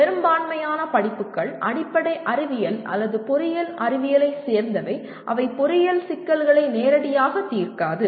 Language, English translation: Tamil, Majority of courses belong to either Basic Sciences or Engineering Sciences which do not address engineering problems directly